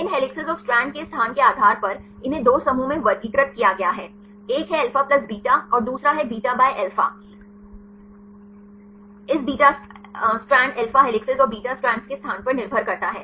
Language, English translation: Hindi, Based on the location of these helices and strands they are classified in 2 groups one is alpha plus beta and the another is alpha by beta, depending upon the location of this beta strand alpha helices and beta strands